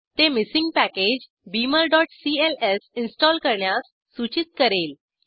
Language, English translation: Marathi, It will ask to install the missing package beamer.cls